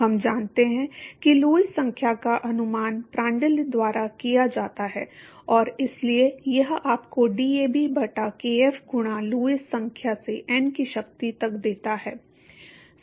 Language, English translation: Hindi, We know that Lewis number estimate by Prandtl and so that simply gives you that DAB by kf into Lewis number to the power of n